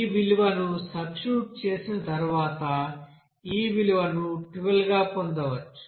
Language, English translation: Telugu, So after substitution of this value, you can get this value as 12